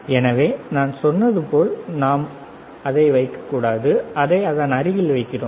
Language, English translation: Tamil, So, like I said, we should not place on it we are placing it next to it, all right